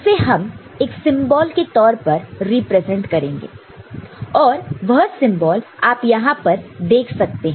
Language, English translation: Hindi, And that is represented through a symbol the symbol over here you see, is this one